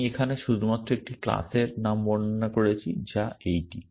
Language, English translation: Bengali, I have only described one class name here which is this